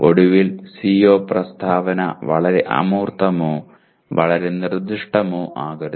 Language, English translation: Malayalam, And finally do not make the CO statement either too abstract or too specific